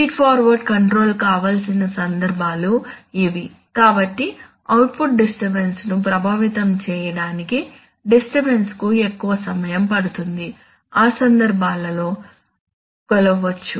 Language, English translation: Telugu, That is which are the cases where feed forward control is desirable, so cases where the disturbance will take lot of time to affect the output disturbance, can be measured, those are the cases